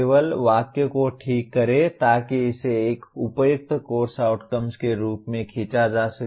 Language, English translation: Hindi, Just merely correct the sentence so that it can be pulled in as a appropriate course outcome